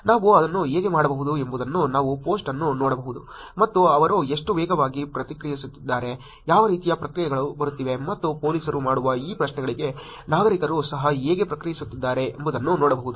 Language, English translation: Kannada, How we can do that we could look at the post and see how fast they are responding, what kind of responses they are it is coming and how citizens are also responding to these queries that the police is making